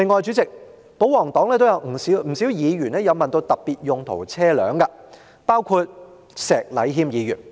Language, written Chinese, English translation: Cantonese, 主席，另外，保皇黨中也有不少議員就特別用途車輛提出質詢，包括石禮謙議員。, Chairman moreover many Members from the pro - Government camp have raised questions about specialized vehicles including Mr Abraham SHEK